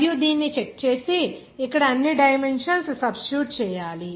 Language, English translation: Telugu, You just check it and substitute all dimensions here